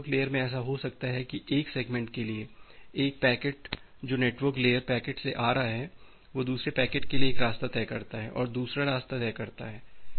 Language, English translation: Hindi, And the network layer it may happen that for one segment, one packet which is coming from the application the network layer packet, it decides one path for another packet it decides another path